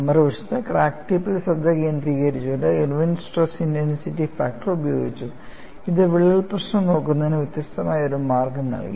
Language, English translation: Malayalam, On the other hand, by focusing on the crack tip, Irwin coined Stress Intensity Factor, which provided a different way of looking at the crack problem; that provided greater insights and people were able to advance further in fracture mechanics